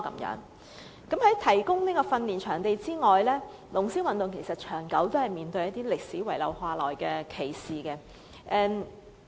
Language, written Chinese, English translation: Cantonese, 除了提供訓練場地之外，龍獅運動長期面對一些歷史遺留下來的歧視。, Apart from the provision of practising venues dragon and lion dance sports have long been facing some kind of discrimination left over by history